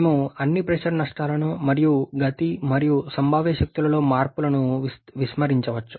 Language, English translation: Telugu, We can neglect all the pressure losses and changes in Kinetic and potential energy